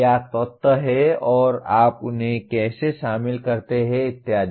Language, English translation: Hindi, What are the elements and how do you include them and so on